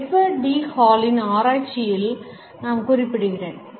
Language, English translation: Tamil, I would refer to the researches of Edward T Hall